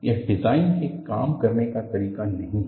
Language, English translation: Hindi, It is not the way design works